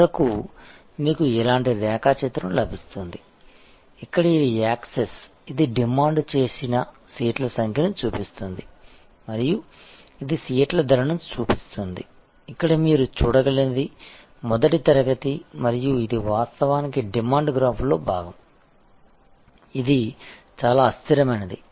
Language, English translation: Telugu, And ultimately you will get a diagram of like this, where this is the access, which shows number of seats demanded and this shows price for seats as you can see here is the first class and this is actually the part of the demand graph, which is quite inelastic